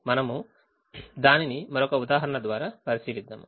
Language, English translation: Telugu, we will look at it through another example